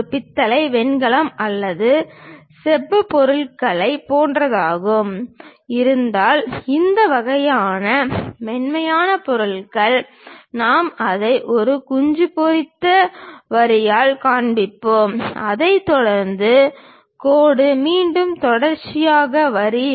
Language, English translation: Tamil, If it is something like brass, bronze or copper material, this kind of soft materials; we show it by a hatched line followed by a dashed line, again followed by a continuous line